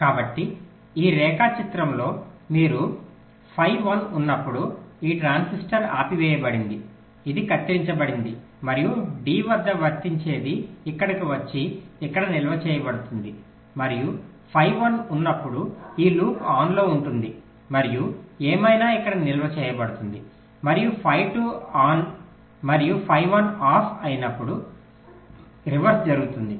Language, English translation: Telugu, so so in this diagram you see, when phi one is one, then this transistor is off, this is cut, and whatever is applied at d will come here and get stored here, and when phi one is one, this loop is on and whatever is shored here is stored